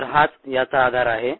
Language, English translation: Marathi, so that is the bases for this